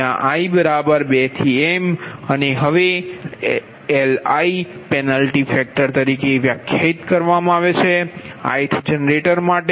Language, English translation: Gujarati, now li is known as penalty factor for the i